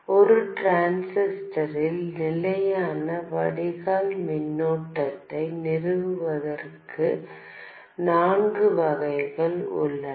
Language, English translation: Tamil, There are four variants of establishing a constant drain current in a transistor